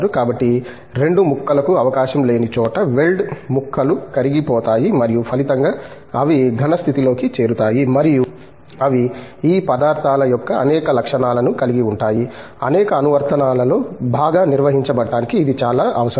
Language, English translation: Telugu, So, where there is no chance of the 2 pieces, weld pieces being you know melted at all and as the result in the solid state they join and they retain a number of properties of these materials, which is very essential for the component to perform in the applications